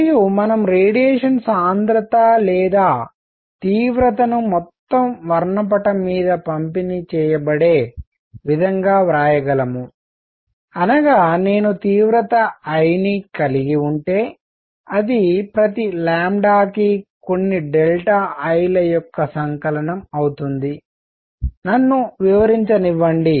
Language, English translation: Telugu, And the radiation we can write the radiation density or intensity is distributed over the entire spectrum; that means, if I have the intensity I, it will be summation of some delta I for each lambda; let me explain